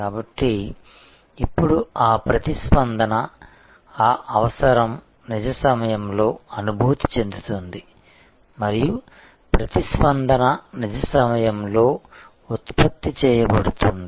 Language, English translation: Telugu, So, now, that response, that need is felt in real time and response can be generated in real time